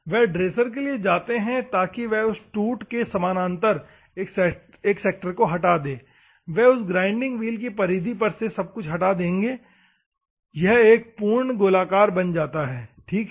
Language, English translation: Hindi, They go for the dressers so that they remove a sector parallel to that wear everything they will remove on a periphery of that grinding wheel and it makes a perfect circle, ok